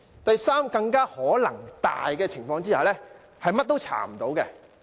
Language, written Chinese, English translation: Cantonese, 第三種更有可能的情況，就是甚麼也查不到。, Have we even thought of that? . Third the most likely scenario is that nothing could be found